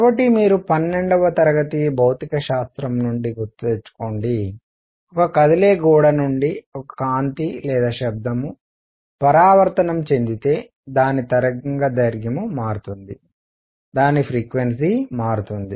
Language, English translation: Telugu, So, you recall from a twelfth grade physics if a light or sound reflects from a moving wall its wavelength changes its frequency changes